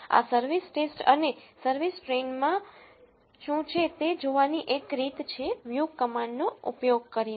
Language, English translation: Gujarati, One way to see what is there in this service test and service train is to use the view command